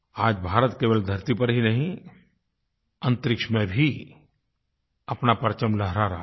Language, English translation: Hindi, Today, India's flag is flying high not only on earth but also in space